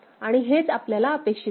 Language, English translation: Marathi, And this is what is expected also